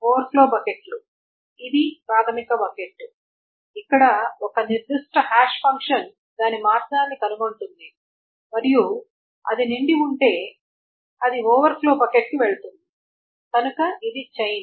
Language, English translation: Telugu, This is the primary bucket where a particular hash function finds its way and if it is full it goes to an overflow bucket